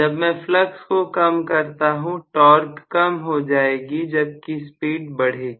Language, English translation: Hindi, When I decrease the flux, the torque will also decrease although the speed increases